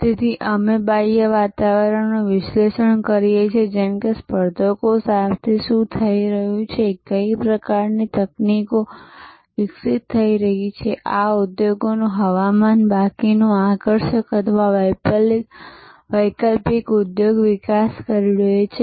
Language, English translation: Gujarati, So, we analyze the external environment we analyze things like, what is happening with the competitors, what sort of technologies are developing, weather this industry reveals remaining attractive or alternate industry is developing